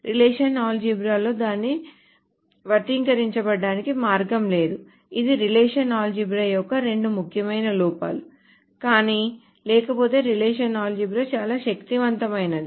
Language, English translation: Telugu, These are the two most important drawbacks of relational algebra but otherwise relational algebra is very very powerful